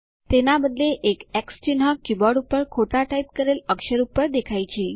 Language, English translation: Gujarati, Instead an X mark briefly appears on the mistyped character on the keyboard